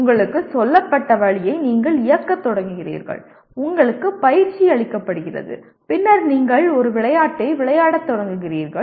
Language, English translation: Tamil, You start executing the way you are told, you are trained and then you start playing a game